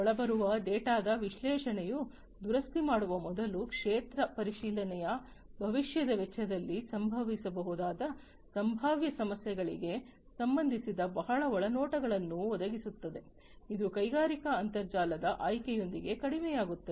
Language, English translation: Kannada, Analysis of the incoming data will provide new insights relating to potential problems which can occur in the future cost of field inspection before repairing will also get reduced with their option of the industrial internet